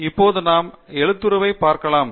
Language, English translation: Tamil, And we can modify now the Font